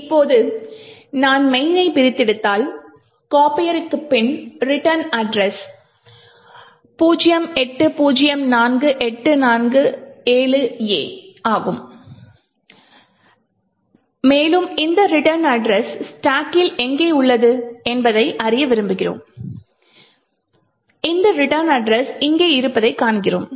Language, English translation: Tamil, Now if I disassemble main, the return address after copier is 0804847A and we want to know where this return address is present on the stack and we see that this return address is present over here